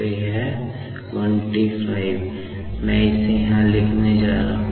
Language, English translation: Hindi, So, this 15T , I am just going to write it here